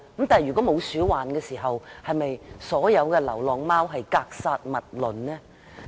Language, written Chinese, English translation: Cantonese, 但是，沒有鼠患時，是否對所有流浪貓格殺勿論呢？, That said should stray cats be killed indiscriminately in the absence of any rodent infestation?